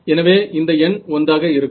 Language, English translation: Tamil, So, this will be 1